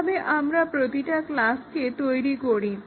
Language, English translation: Bengali, How do we make each class